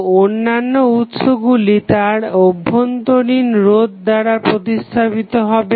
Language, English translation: Bengali, So, other sources are replaced by only the internal resistance